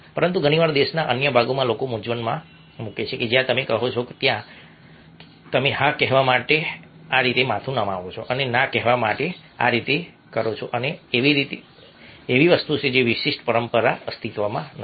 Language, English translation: Gujarati, but very often in other parts of the country people confuse that where you say you node your head in this way to say yes and this way to say no, and this is something which doesn't exist in that particular tradition